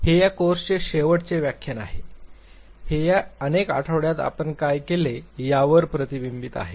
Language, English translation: Marathi, This is the last lecture of this very course, it reflect upon what we have done in these many weeks